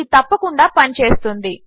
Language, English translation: Telugu, This will work for sure